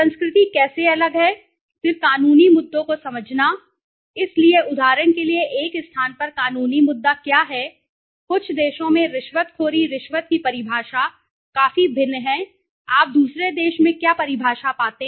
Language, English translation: Hindi, The how the culture is different, then understanding the legal issues,so what is you know legal issue in one place for example bribery in some of the nations bribery the definition of bribery is quite different to what the definition you find in another country, right, okay